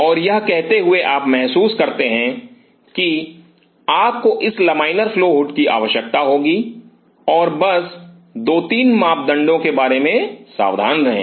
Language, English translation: Hindi, And having said this you realize that you will be needing this laminar flow hoods and just be careful about 2 3 parameters